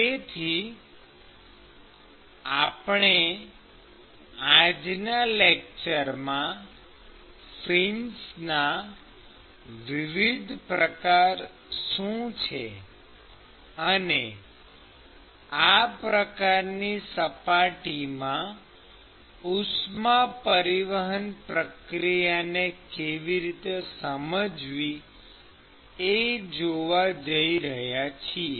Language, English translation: Gujarati, So, what we are going to see in today’s lecture is : we are going to look at what are the different ways of fins and how to understand heat transport process in these kinds of surfaces